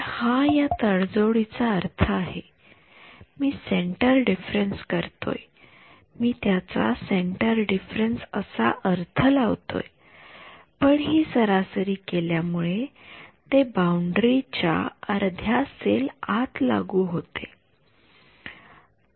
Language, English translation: Marathi, So, that is the meaning of this compromise I am using a centre difference I am interpreting it as a centre difference, but it is being by doing this averaging it is being imposed half a cell inside the boundary